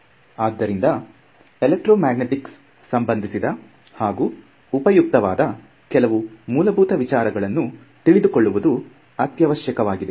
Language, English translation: Kannada, So, it is important that we become comfortable with some basic ideas that are useful for electromagnetics